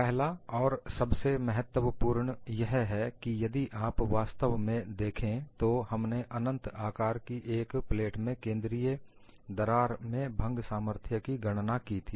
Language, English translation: Hindi, The first and foremost is, if you actually look at, the fracture strength that we have calculated was for a central crack in an infinite plate